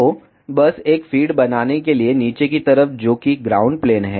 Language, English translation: Hindi, So, just to make a feed select the bottom side that is ground plane